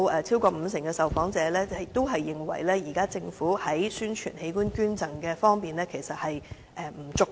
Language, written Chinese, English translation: Cantonese, 超過五成受訪者認為，現在政府在宣傳器官捐贈方面，做得不足夠。, Over 50 % of the respondents opine that the Government has not tried hard enough in promoting organ donation